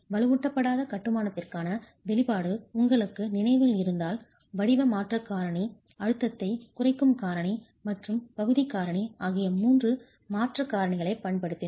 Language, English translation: Tamil, If you remember the expression for unreinforced masonry we used three modification factors, the shape modification factor, the stress reduction factor and the area factor